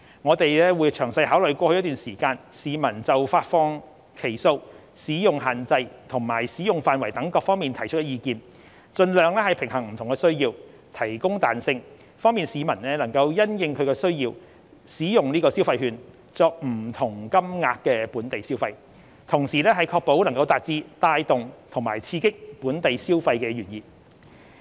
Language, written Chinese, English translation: Cantonese, 我們會詳細考慮過去一段時間市民就發放期數、使用限制及使用範圍等各方面提出的意見，盡量平衡不同的需要，提供彈性，方便市民能夠因應其需要使用消費券作不同金額的本地消費，同時確保能達致帶動及刺激本地消費的原意。, We will carefully consider the different views previously expressed by the public with regard to the number of instalments the restrictions on usage and scope of use and so on . We will strive to strike the best balance among various needs and provide flexibility so as to facilitate the public to use the consumption vouchers for local consumption of different amounts according to their needs and at the same to achieve the aim of boosting and stimulating the local consumption